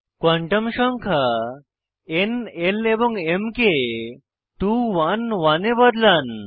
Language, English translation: Bengali, Edit n, l and m quantum numbers to 2 1 1